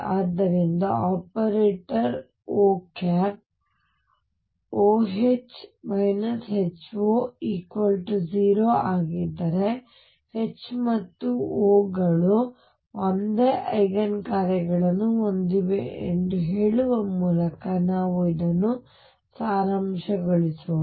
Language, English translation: Kannada, So, let us just summaries this by saying that if for an operator O, O H minus H O is 0 then H and O have the same Eigen functions